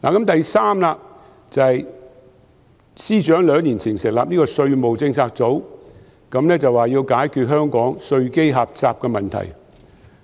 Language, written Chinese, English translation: Cantonese, 第三，司長兩年前成立稅務政策組，說要解決香港稅基狹窄的問題。, Thirdly the Financial Secretary set up a Tax Policy Unit two years ago in order to solve the problem of Hong Kongs narrow tax base and I really stood up in applause back then